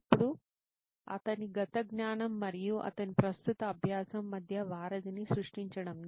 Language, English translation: Telugu, Then creating the bridge between his past knowledge and he is present learning